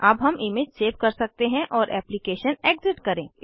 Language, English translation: Hindi, We can now save the image and exit the application